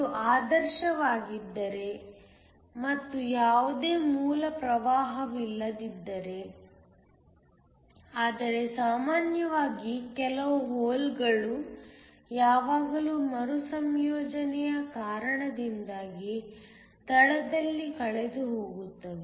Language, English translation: Kannada, This is if it is ideal and there is no base current, but usually some of the holes will always be lost in the base due to recombination